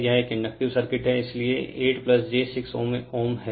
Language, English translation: Hindi, This is an inductive circuit, so 8 plus j 6 ohm